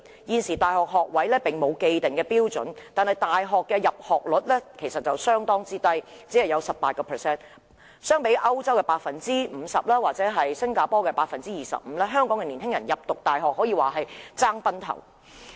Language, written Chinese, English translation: Cantonese, 現時大學學位並無既定標準，但大學的入學率卻相當低，只有 18%， 相比歐洲的 50% 或新加坡的 25%， 香港青年人要升讀大學可說是競爭非常劇烈。, At present no established standards have been set for provision of university places but our university enrolment rate is at the low mark of only 18 % compared with 50 % in Europe and 25 % in Singapore . Young people in Hong Kong face very keen competition in university admission